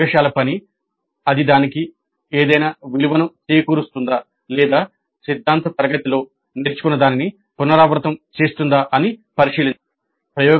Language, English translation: Telugu, The laboratory work does it add any value to that or whether it just simply repeats whatever has been learned in the theory class